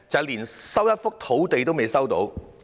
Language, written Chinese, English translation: Cantonese, 連一幅土地也未能收回。, Not even a piece of land has been resumed